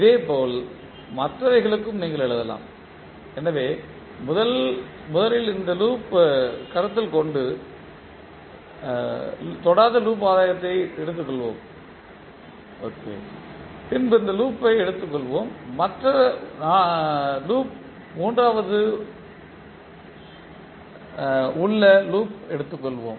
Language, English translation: Tamil, Similarly, for others also you can write, so first we will take non touching loop gain by considering this loop and this loop then we take the loop gain by taking this loop and the other loop and then third one you take this loop and this loop